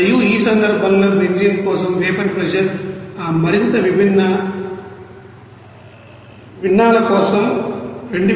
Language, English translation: Telugu, And in that case the vapor pressure for the benzene for this more fractions it is coming 2587